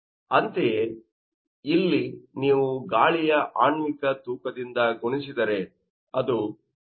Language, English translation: Kannada, Similarly, here multiply by molecular weight of air that is 28